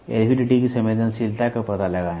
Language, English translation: Hindi, Find the sensitivity of the LVDT